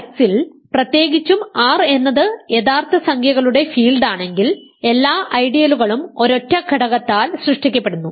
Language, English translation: Malayalam, So, in particular in R x if R is the field of real numbers every ideal is generated by a single element